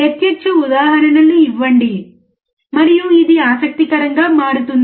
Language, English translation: Telugu, Give live examples, and it becomes interesting